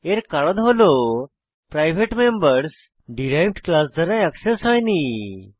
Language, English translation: Bengali, This is because the private members are not accessed by the derived class